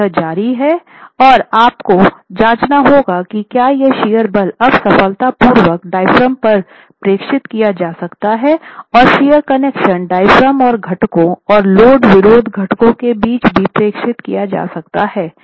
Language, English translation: Hindi, So this continues and you have to check if this shear force can now be transmitted successfully by the diaphragms and also the connections, the shear connections between the diaphragms and the components and the load assisting components